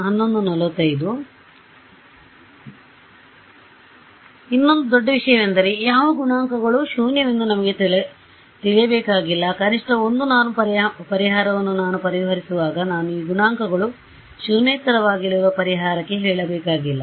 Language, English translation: Kannada, Yeah, the other great thing is that we do not need to know which coefficients are zero, I can when I solve the minimum 1 norm solution I do not have to tell the solver these coefficients are going to be non zero